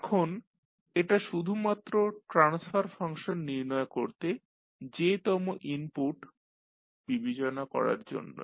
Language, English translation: Bengali, Now, this is only for considering the jth input in finding out the transfer function